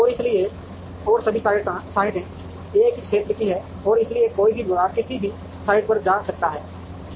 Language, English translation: Hindi, And therefore, and all the sites are of the same area and therefore, any department can go to any site